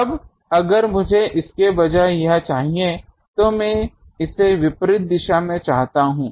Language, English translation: Hindi, Now, if I want it instead of these, I want it in the opposite direction